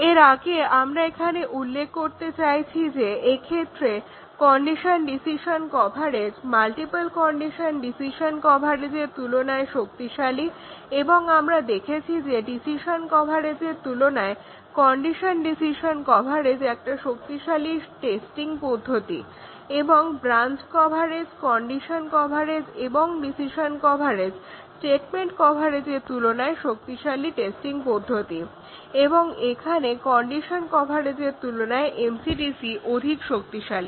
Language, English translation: Bengali, Before that we just want to mention here is that multiple condition decision coverage is a stronger coverage than the condition decision coverage, and we had seen that the condition decision coverage is a stronger testing than the decision coverage and the condition coverage and decision coverage at the branch coverage is a stronger testing than statement coverage, and see here the MC/DC is stronger than condition decision coverage